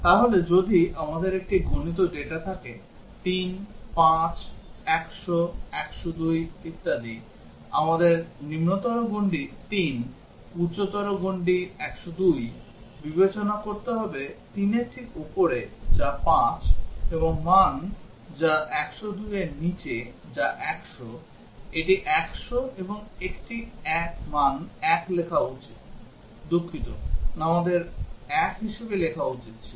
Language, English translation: Bengali, So, if we have a enumerated data 3, 5, 100, 102 etcetera, we would have to consider the lower bound 3, the higher bound 102, just above 3 which is 5, and the value which is just below 102 which is 100, it should written 100 and a value 1, sorry we should have written as 1